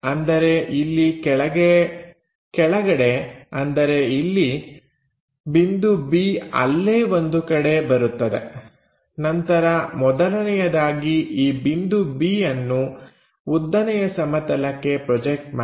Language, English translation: Kannada, So, point B must be somewhere there, then project first of all this point B on to vertical plane